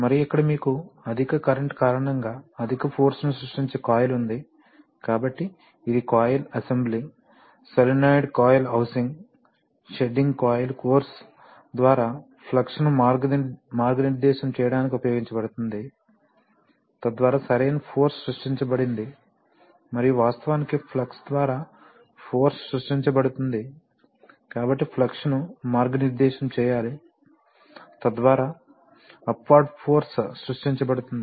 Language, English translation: Telugu, And here you have a high current carrying, high force creating coil, so this is the coil assembly, solenoid coil housing okay, shedding coil, shedding coil is used to, you know guide the flux through the course, so that the proper force is created and actually the force created by the flux, so one has to guide the flux, so that an upward force is created